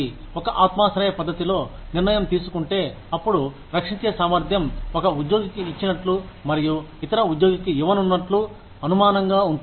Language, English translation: Telugu, If the decision has been made, in a subjective manner, then the ability to defend, what one has given to one employee, and not given to the other employee, becomes a suspect